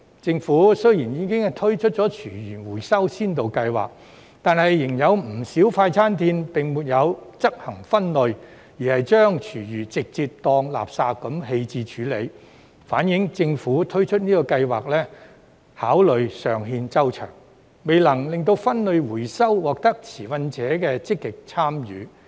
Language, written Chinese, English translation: Cantonese, 政府雖然已推出廚餘收集先導計劃，但仍有不少快餐店並沒有執行分類，而是把廚餘直接當作垃圾棄置處理，反映政府推出的計劃考慮尚欠周詳，未能令分類回收獲得持份者的積極參與。, Although the Government has launched the Pilot Scheme on Food Waste Collection many fast food establishments still have not implemented separation and dispose of food waste as garbage reflecting that the Governments scheme is not well thought out and has failed to solicit active participation from stakeholders in separation and recycling